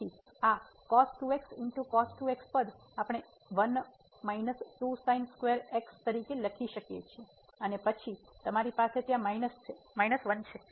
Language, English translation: Gujarati, So, this term we can write down as 1 minus square and then you have minus 1 there